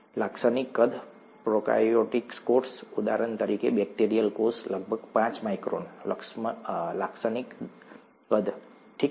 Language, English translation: Gujarati, The typical sizes, a prokaryotic cell; for example, a bacterial cell, is about five microns, typical size, okay